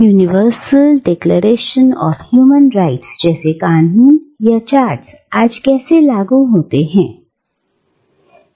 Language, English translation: Hindi, How laws or charters, like the Universal Declaration of Human Rights, are implemented today